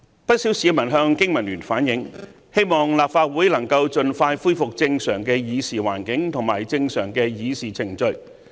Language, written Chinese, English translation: Cantonese, 不少市民向經民聯反映，希望立法會能夠盡快恢復正常的議事環境及議事程序。, BPA has received many public views saying that they hope the Legislative Council will soon be able to conduct its meetings normally according to its established procedures